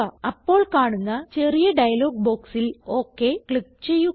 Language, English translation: Malayalam, Click on OK in the small dialog box that appears